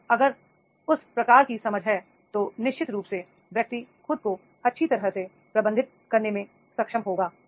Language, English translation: Hindi, So, if that type of the understanding is there, then definitely the person will be able to manage himself very well